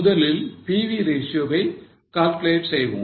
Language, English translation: Tamil, So, let us first calculate PV ratio